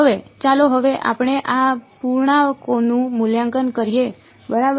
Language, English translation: Gujarati, Now, let us now let us evaluate these integrals ok